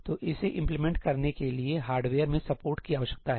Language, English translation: Hindi, So, this requires support in the hardware to implement